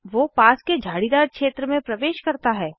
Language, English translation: Hindi, He enters the nearby bushy area